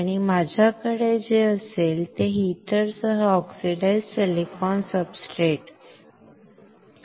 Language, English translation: Marathi, And what I will have, is oxidized silicon substrate with a heater